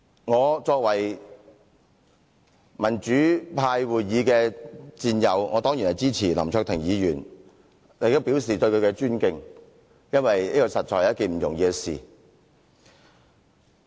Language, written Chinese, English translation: Cantonese, 我作為民主派議員的戰友，當然支持林卓廷議員，亦向他表示尊敬，因為這實在不是一件易事。, As a comrade of democratic Members I certainly support Mr LAM Cheuk - ting and treat him with respect because what he did is no easy task